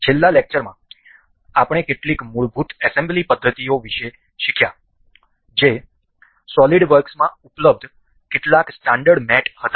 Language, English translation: Gujarati, In the last lecture, we learned about some basic assembly methods that were some standard mates available in solid works